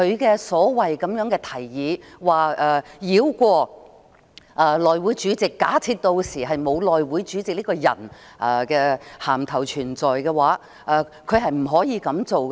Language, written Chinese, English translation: Cantonese, 他所謂的"提議"，是要繞過內會主席，並假設屆時沒有內會主席這個銜頭存在，他是不可以這樣做的。, His so - called proposal is to bypass the Chairman of the House Committee and assume that there will be no such title as Chairman of the House Committee by then . He cannot do so